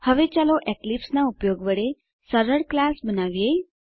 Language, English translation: Gujarati, Now let us create a simple class using Eclipse